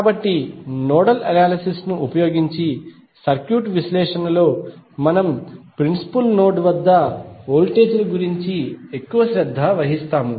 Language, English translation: Telugu, So, in circuit analysis using nodal analysis we are more concerned about the voltages at principal node